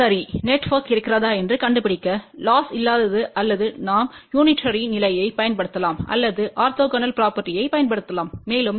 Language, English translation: Tamil, Well, in order to find out whether the network is lossless or not we can use the unitary condition also or we can use the orthogonal property also